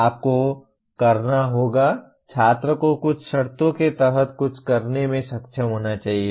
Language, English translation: Hindi, You have to, the student should be able to do something under some conditions